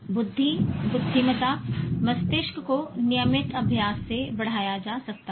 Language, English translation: Hindi, Intellect, intelligence, brain can be grown with regular practice